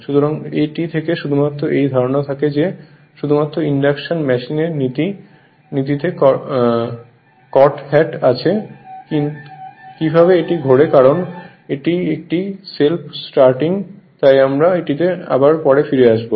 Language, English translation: Bengali, So, from this only from this concept only the principle of induction machine has come that how it rotates because it is a self starting so we will we will come to that right